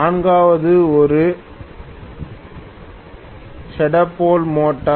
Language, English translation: Tamil, The fourth one which is a shaded pole motor